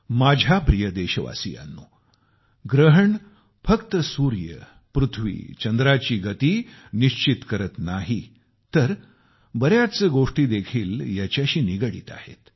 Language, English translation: Marathi, My dear countrymen, the movement of the sun, moon and earth doesn't just determine eclipses, rather many other things are also associated with them